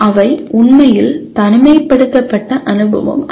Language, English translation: Tamil, They are not really isolated experience